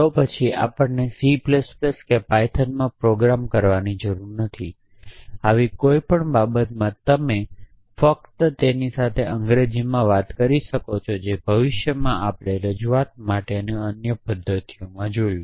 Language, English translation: Gujarati, Then we do not need to program in C plus plus python ogg in our any such thing you could simply talk to them in English that is way in the future we saw other mechanisms for representation